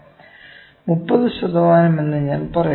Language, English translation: Malayalam, Let me say 30 percent on this, ok